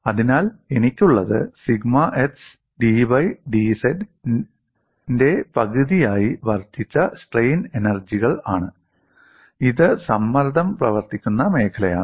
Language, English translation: Malayalam, So, what I have is, I have the incremental strain energies given as 1 half of sigma x d y by d z, this is the area on which the stress is acting